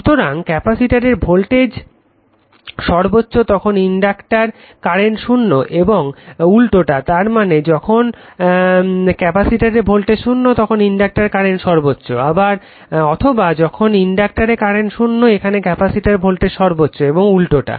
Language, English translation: Bengali, So, therefore, since when the now when the capacitor voltage is maximum the inductor current is 0 and vice versa when; that means, when capacitor voltage here it is this point 0 in this your what you call this inductor current is maximum or when inductor current is 0 this point capacitor voltage is maximum vice versa